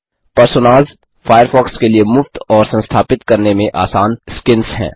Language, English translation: Hindi, # Personas are free, easy to install skins for Firefox